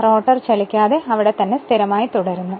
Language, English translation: Malayalam, So, rotor is not moving it is stationary